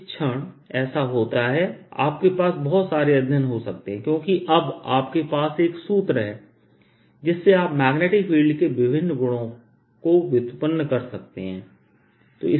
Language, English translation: Hindi, now you can have in lot and lot of more studies because now you have a formula from which you can derive various properties of magnetic field